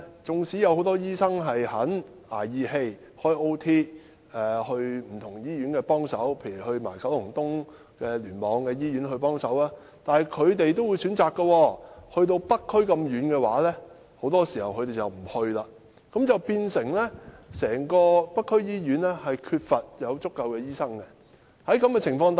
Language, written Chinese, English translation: Cantonese, 縱使很多醫生願意"捱義氣"加班，前往不同的醫院幫忙，例如是九龍東聯網的醫院，但是北區這麼偏遠的地區，他們很多時也選擇不去，結果整個北區醫院均缺乏醫生。, Though many doctors are willing to work overtime to help out at different hospitals like hospitals in the Kowloon East Cluster KEC they usually do not choose to work in remote districts like the North District . As a result there is a general shortage of doctors in hospitals in the North District